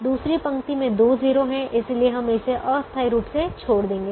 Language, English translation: Hindi, the second row has two zeros, so leave it temporarily